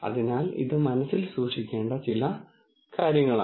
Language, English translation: Malayalam, So, that is one thing to keep in mind